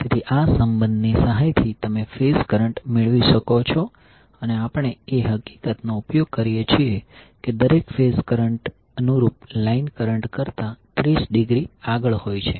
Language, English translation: Gujarati, So phase current you can obtain with the help of this relationship and we utilize the fact that each of the phase currents leads the corresponding line current by 30 degree